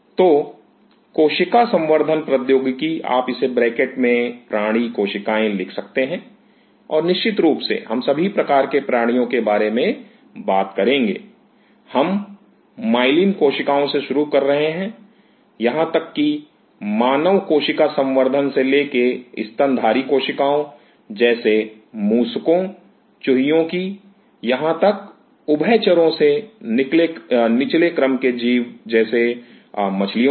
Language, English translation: Hindi, So, cell culture technology; you can put it within bracket animal cells and of course, we will be talking about all sorts of animals, we starting from myelin cells, even human cell culture to mammalian cells like rats’ mice all the way to amphibians like lower order including fishes